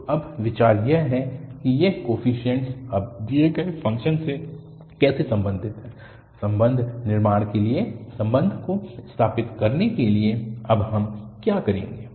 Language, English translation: Hindi, So now, the idea is that how these coefficients are related now to the given function, so to construct the relation, to establish the relation what we will do now